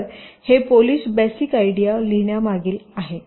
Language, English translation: Marathi, so this is the basic idea behind writing a polish expression